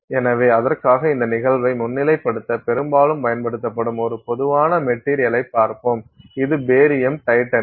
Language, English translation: Tamil, So, for that let's look at a typical material that is often used to highlight this phenomenon which is barium titanate